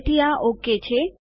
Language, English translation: Gujarati, So this is ok